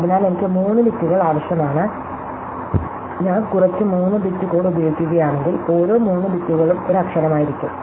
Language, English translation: Malayalam, So, I need 3 bits, if I use some 3 bit code, then every 3 bits will be one letter